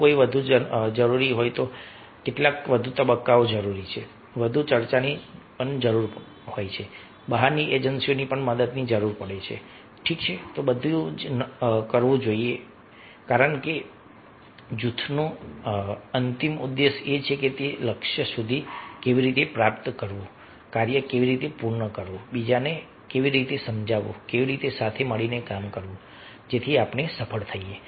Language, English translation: Gujarati, if something more is required, some more stages are required, some more discussions are required, some help from outside agencies are required, ok, everything should be done, because ultimate objective of the group is how to achieve the goal, how to get the work done, how to convince other, how to work together so that we are successful